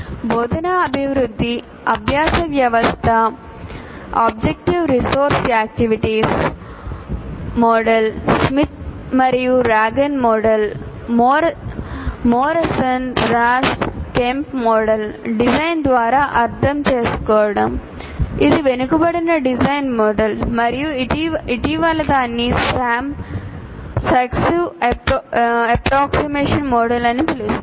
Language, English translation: Telugu, And then you have instructional development learning system, IDLS, Objectives Resource Activities, OAR model, Smith and Dragon model, Morrison Ross Kemp model, understanding by design, it's a backward design model and the most recent one is called Sam, successive approximation model